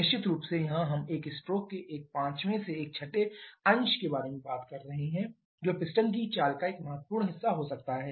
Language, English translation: Hindi, So, this is not a small fraction surely here we are talking about one fifth to one sixth of a stroke which can be a quite significant fraction of piston movement